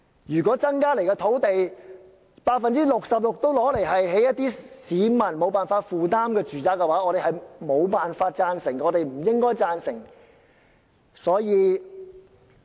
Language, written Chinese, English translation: Cantonese, 如果增加的土地中有 66% 會用作興建市民無法負擔的住宅，我們無法贊成，亦不應贊成。, If 66 % of the increased land supply will be used for constructing residential properties unaffordable to the general public we cannot and should not agree